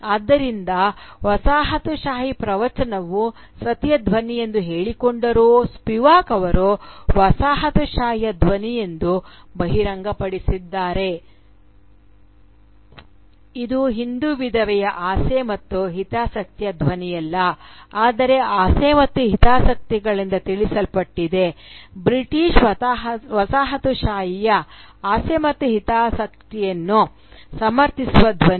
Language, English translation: Kannada, So, the colonial discourse, though it claimed to be the voice of the Sati, is revealed by Spivak to be simply the voice of the coloniser which is informed not by the desires and interests of the Hindu widow but by the desires and interests of the British overlord justifying colonialism, justifying the colonial subjugation of India as a civilising mission